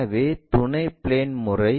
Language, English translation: Tamil, So, auxiliary plane method